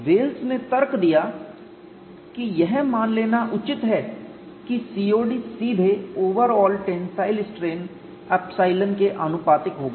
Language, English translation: Hindi, So, Wells argued that COD will be directly proportional to overall tensile strain